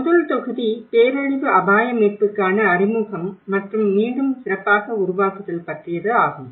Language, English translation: Tamil, The first module was about introduction to disaster risk recovery and the build back better